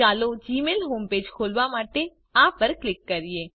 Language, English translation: Gujarati, Lets click on this to open the gmail home page